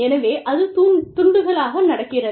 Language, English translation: Tamil, And so, it is happening in pieces